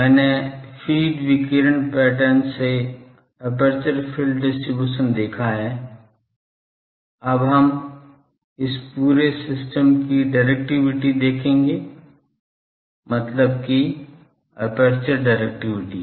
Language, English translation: Hindi, We have seen the aperture field distribution from the feeds radiation pattern, now we will see the directivity of the this whole system; that means, aperture directivity